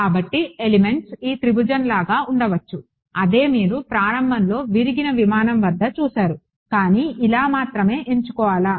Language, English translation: Telugu, So, the elements it can be like this triangle that is what you saw in the very beginning the aircraft whichever was broken, but these are the only choice